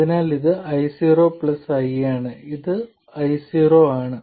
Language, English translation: Malayalam, So this is I0 plus I and this is I0